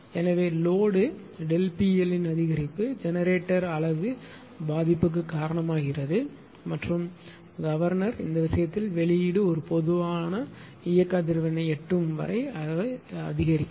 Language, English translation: Tamil, So, what an increase in load delta P L causes the generating unit to slow down and the governor increase your what you call that your that in the case of your this thing the output until they reach a new common operating frequency that is f c